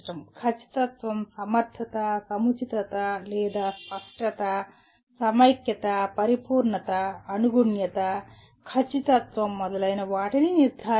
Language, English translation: Telugu, Judging the accuracy, adequacy, appropriateness or clarity, cohesiveness, completeness, consistency, correctness etc